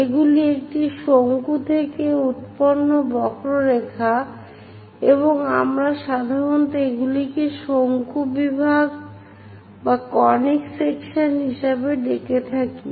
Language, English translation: Bengali, These are the curves generated from a cone, and we usually call them as conic sections